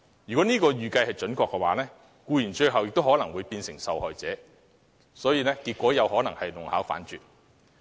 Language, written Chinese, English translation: Cantonese, 如果這預計準確，僱員最後可能變成受害者，結果是得不償失。, If this estimate is correct employees will eventually become victims . Consequently their loss will outweigh their gain